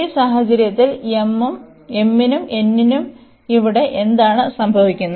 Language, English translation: Malayalam, So, in this case what is happening here the m and n